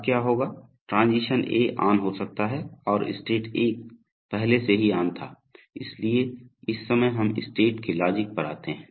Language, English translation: Hindi, Now what will happen, now in the next stage, so now transition A becomes on and state 1 was already on, so at this point of time we come to the state logic